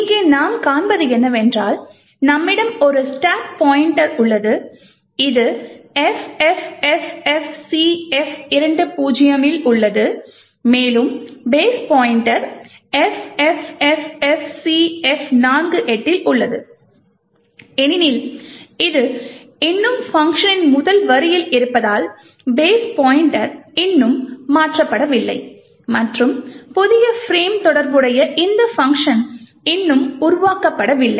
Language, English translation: Tamil, So, what we see here is that we have a stack pointer which is at FFFFCF20, ok, and the base pointer is at FFFFCF48 now since this is still at the first line of function the base pointer has not been changed as yet and the new frame corresponding to this function has not been created as yet